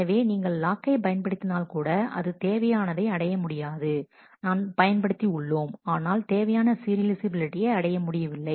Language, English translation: Tamil, So, even though we have used a lock it has not been able to achieve the required even though, we have used the lock we have not been able to achieve the required serializability